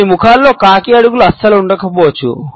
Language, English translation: Telugu, In some faces the crow’s feet may not be present at all